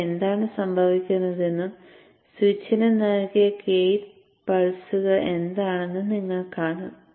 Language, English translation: Malayalam, You could also see what happens here and what is the gate pulses which are given to the switch